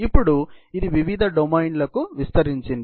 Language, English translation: Telugu, Now, it has expanded to variety of domains